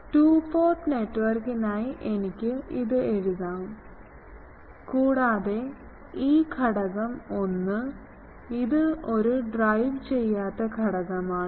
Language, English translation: Malayalam, Can I write this for a two port network and, and this element 1, it is not driven